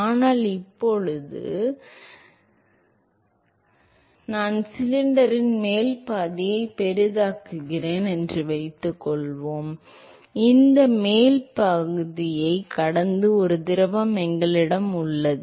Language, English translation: Tamil, So, now; so, suppose I zoom up the upper half of the cylinder and we have a fluid which is flowing past this upper half